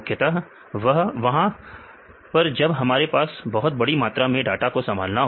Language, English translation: Hindi, Mainly for this massive data if you want to handle